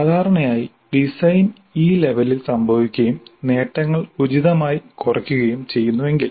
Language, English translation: Malayalam, So, typically the design happens at this level and then the attainments are scaled down suitably